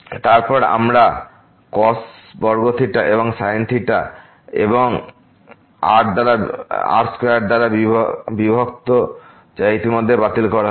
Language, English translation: Bengali, And then, we have cos square theta and sin theta and divided by square which is already cancelled